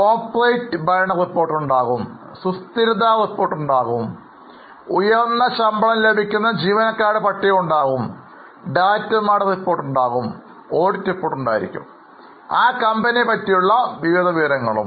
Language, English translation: Malayalam, There will be corporate governance report, there will be sustainability report, there will be list of employees who are getting high level of salary, there would be directors report, there will be auditor's report, like that a variety of information about that company and sometimes about that industry is available